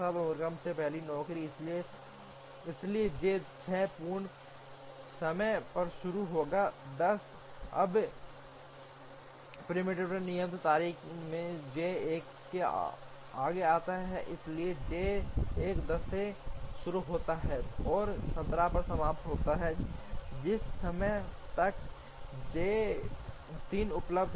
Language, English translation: Hindi, Now, with J 2 as the first job in the sequence, so J 2 starts at 6 completion time is 10, now going by the preemptive due date J 1 comes next, so J 1 starts at 10 and finishes at 17 by which time J 3 is available